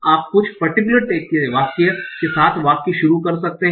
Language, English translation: Hindi, You can start the sentence with some particular text